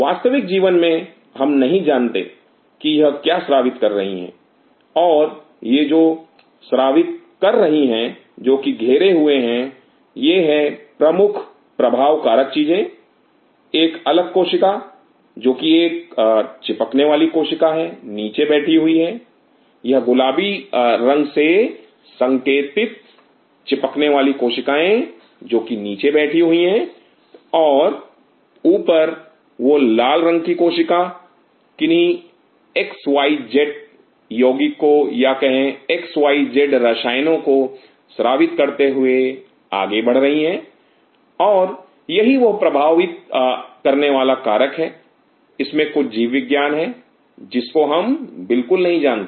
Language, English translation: Hindi, In a real life we do not know what it is secreting and that what it is secreting to it is surrounding main influences the another cell which is an adhering cell sitting underneath; this pink colors are there adhering cells which are sitting underneath and top of that this red cells is moving through by secreting certain xyz compound xyz chemical and this is the influencing some of it is biology we really not know that